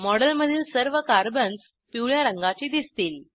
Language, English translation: Marathi, All the Carbons in the model, now appear yellow in colour